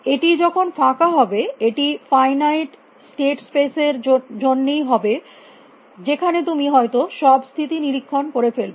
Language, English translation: Bengali, When will it be empty it will be empty only for finite state spaces that you would have ended up by inspecting all the states